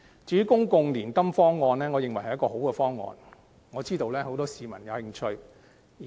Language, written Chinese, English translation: Cantonese, 至於公共年金計劃方案，我認為是好的方案，我知道很多市民對計劃有興趣。, As regards the proposed public annuity scheme I think it is a desirable proposal and I know that many people are interested in the scheme